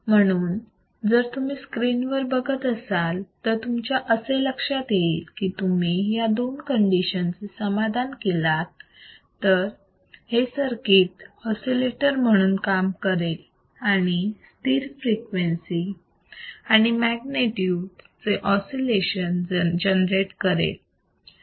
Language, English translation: Marathi, So, if you come back on the screen what you see is that if you can satisfy this both the conditions, if you satisfy first two condition, then the circuit works as an oscillator producing a sustained oscillations of cost constant frequency and amplitude